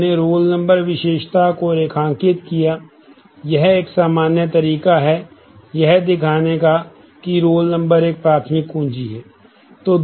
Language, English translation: Hindi, We underlined the roll number attribute; this would be a common way to show that roll number is a primary key